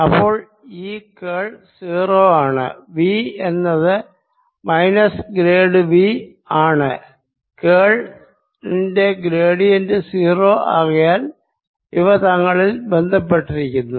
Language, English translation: Malayalam, so this curl of being zero, v being equal to minus, grad of v and gradient of curl being zero, they are all related with each other